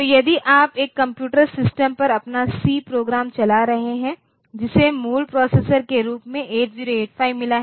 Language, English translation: Hindi, So, if today you are running your c program on a on a computer system that has got 8085 as the basic processor